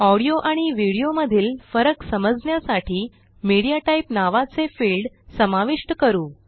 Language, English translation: Marathi, In order to distinguish between an audio and a video, we will introduce a MediaType field